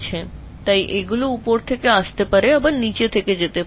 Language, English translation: Bengali, Things can come from top, they can go from down